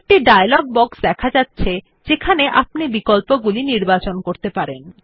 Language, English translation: Bengali, A dialog box appears on the screen giving you options to select from